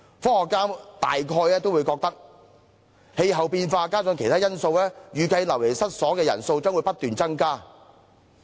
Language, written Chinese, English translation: Cantonese, 科學家認為氣候變化加上其他因素，預計流離失所的人數將不斷增加。, According to the projections made by scientists as a result of climate change and some other factors there will be an ever increasing number of people displaced